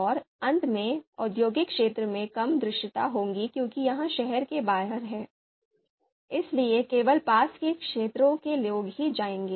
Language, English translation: Hindi, And then industrial area, probably it will have you know low visibility because it is outside the city, so only people in the in the in the nearby areas will visit